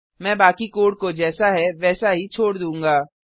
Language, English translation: Hindi, I will retain the rest of the code as it is